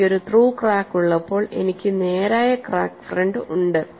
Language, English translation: Malayalam, When I have a through crack, I have a straight crack fringe